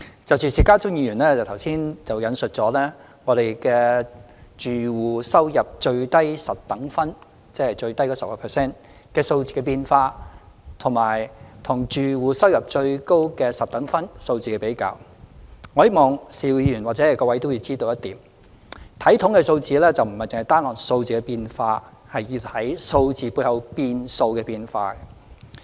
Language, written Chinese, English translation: Cantonese, 就邵家臻議員剛才引述我們的住戶收入最低十等分——即最低的 10%—— 數字的變化，以及住戶收入最高十等分數字的比較，我希望邵議員或各位也要知道一點，就是在看統計數字時，不是單看數字的變化，而要看數字背後變數的變化。, In respect of the changes in the decile group with the lowest household income―ie . the bottom 10 % ―and the comparison with the decile group with the highest household income that Mr SHIU Ka - chun quoted from us earlier on I hope Mr SHIU or Members will be aware that when we look at statistics instead of focusing on statistical changes alone we should take note of the changing variables behind them